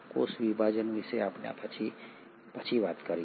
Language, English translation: Gujarati, We will talk about cell division later